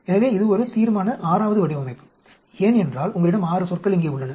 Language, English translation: Tamil, So, this is a resolution 6th design because you have 6 terms here